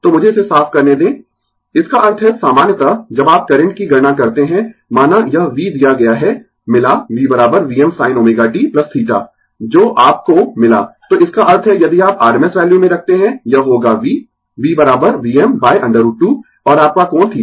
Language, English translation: Hindi, So, let me clear it, that means in general when you compute the current suppose this v is given, we got v is equal to v m sin omega t plus theta that you got, so that means, if you put in rms value, it will be v, v is equal to v m by root 2 right, and angle your theta right